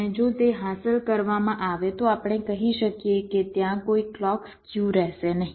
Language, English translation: Gujarati, and if it is, if it is achieved, then we can say that there will be no clock skew